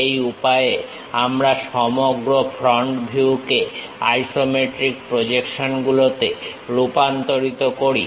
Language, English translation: Bengali, This is the way we transform that entire front view into isometric projections